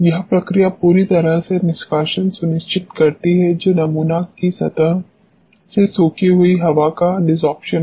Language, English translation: Hindi, This procedure ensures complete removal that is desorption of the adsorbed air from the surface of the sample